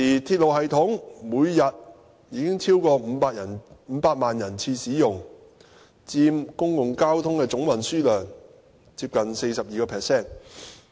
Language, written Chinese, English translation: Cantonese, 鐵路系統現時每天已超過500萬人次使用，佔每日公共交通的總運輸量接近 42%。, In fact the railway system carries over 5 million passenger trips every day representing almost 42 % of overall daily public transport